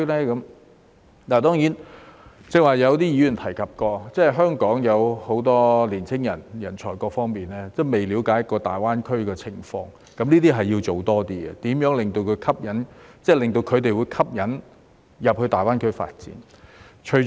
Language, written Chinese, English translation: Cantonese, 剛才有議員提到，香港有很多年青人或人才仍未了解大灣區的情況，這方面要多做工夫，吸引他們到大灣區發展。, Some Members mentioned earlier that many young people or talents in Hong Kong still lack understanding of the situation in GBA . More efforts should be made in this regard to attract them to pursue development in GBA